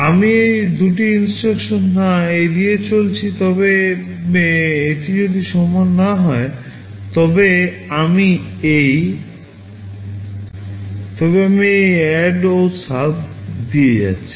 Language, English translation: Bengali, I am skipping these two instructions, but if it is not equal then I am going through this ADD and SUB